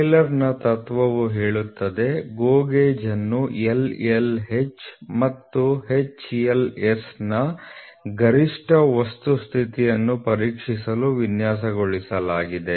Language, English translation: Kannada, Taylor’s principle states that the GO gauge is designed to check maximum material condition that is LLH and HLS